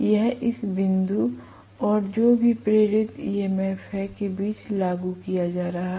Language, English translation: Hindi, That is being applied between this point and whatever is the induced EMF